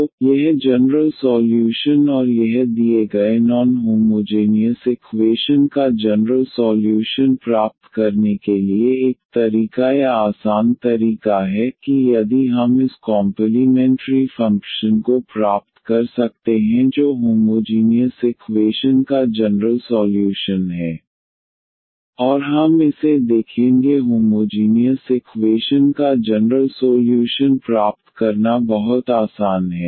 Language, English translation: Hindi, So, this general solution and this is one method or the easy method to get the general solution of the of the given non homogeneous equation, that if we can get this complimentary function which is the general solution of the homogenous equation and we will see that this is very easy to get the general solution of the homogenous equation